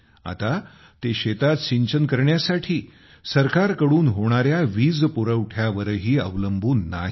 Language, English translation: Marathi, They are not even dependent on the government's electricity supply for irrigation in the field any more